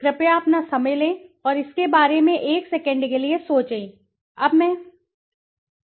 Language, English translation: Hindi, Please take your time and think about it for a second, now let me show you